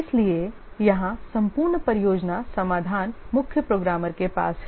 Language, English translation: Hindi, So here the entire project solution is with the chief programmer